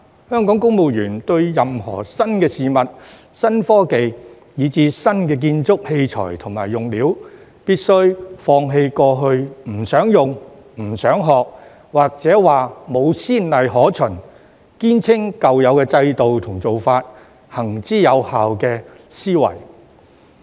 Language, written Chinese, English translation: Cantonese, 香港公務員對於任何新事物、新科技，以至新建築器材和用料，必須放棄過去不想用、不想學，或說沒先例可循，堅稱舊有制度和做法行之有效的思維。, When faced with new things new technologies and even new construction equipment and materials Hong Kong civil servants must let go of the old mentality in which they did not want to use or learn them or claimed that there were no precedents to follow or insisted that the old systems and practices had been constantly effective